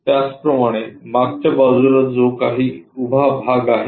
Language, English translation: Marathi, Similarly on back side whatever that vertical part